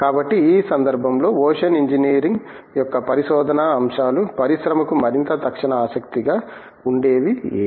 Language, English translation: Telugu, So, in this context, what aspects of research that go on in ocean engineering or of may be more immediate interest to the industry